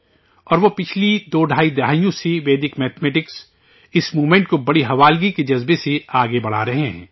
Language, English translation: Urdu, And for the last twoandahalf decades, he has been taking this movement of Vedic mathematics forward with great dedication